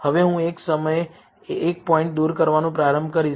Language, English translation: Gujarati, Now, I will start by removing one point at a time